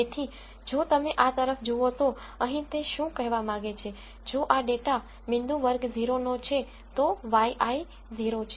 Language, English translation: Gujarati, So, if you look at this here what they say is if this data point belongs to class 0 then y i is 0